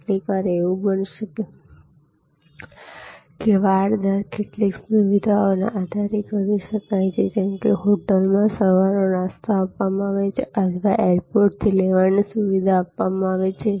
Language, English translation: Gujarati, Sometimes it can be, the rate fencing can be done on the basis of some amenities like very popular is bread and breakfast, the breakfast cost is included or the airport pickup